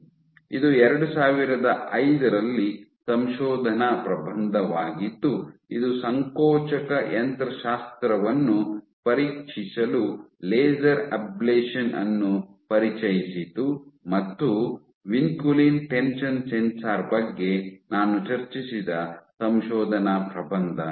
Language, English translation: Kannada, You have this is a 2005 paper which introduced laser ablation for probing contractile mechanics, and the paper I just discussed on vinculin tension sensor